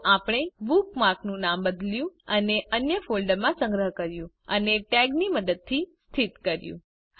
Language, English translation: Gujarati, So, we have renamed the bookmark, saved it in another folder and located it using a tag